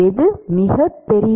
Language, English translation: Tamil, Which one is very larger